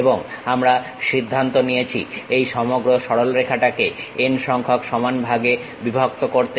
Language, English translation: Bengali, And, we have decided divide these entire straight line into n number of equal parts